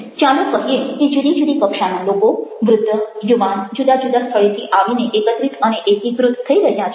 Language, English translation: Gujarati, let say that different categories of people old, young, from different places are coming together, converging